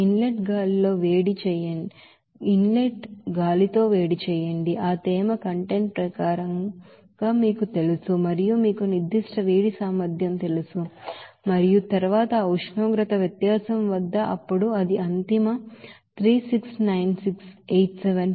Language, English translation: Telugu, Heat with inlet air it will be you know that there as per that moisture content and it is you know specific heat capacity and then at that temperature difference, then it will come ultimate 369687